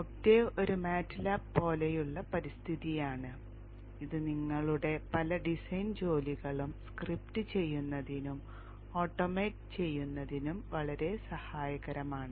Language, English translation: Malayalam, Octave is a MATLAB like environment which is very helpful in scripting and automating many of your design tasks